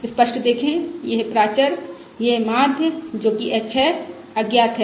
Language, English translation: Hindi, Realise that this parameter, this mean, which is h, is unknown